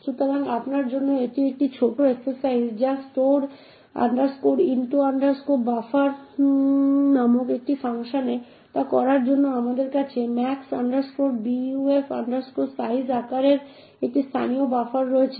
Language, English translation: Bengali, So, this is a small exercise for you to do so in this function called store into buffer we have a local buffer of size max buf size